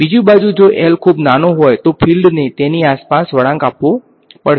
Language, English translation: Gujarati, On the other hand, if L was very small then the field will have to sort of bend around it